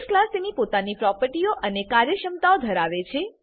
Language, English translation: Gujarati, The base class has its own properties and functionality